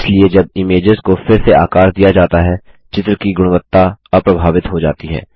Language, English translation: Hindi, Therefore, when the images are resized, the picture quality is unaffected